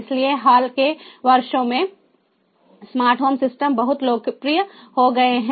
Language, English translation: Hindi, so smart home systems have become very popular in the recent years